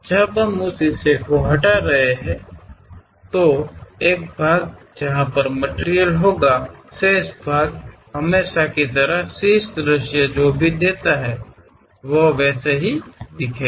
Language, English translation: Hindi, When we are removing that part, this one having material, this one having material; the remaining part is as usual like top view whatever it gives